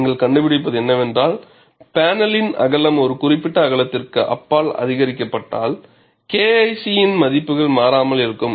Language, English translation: Tamil, And what you find is, if the width of the panel is increased, beyond a particular width, the value of K 1 C remains constant